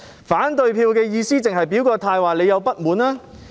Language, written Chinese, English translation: Cantonese, 反對票的意義是否用來表達自己的不滿？, Is a negative vote meant to be used to express ones dissatisfaction?